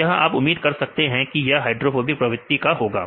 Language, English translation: Hindi, So, you can expect that these residues are highly hydrophobic nature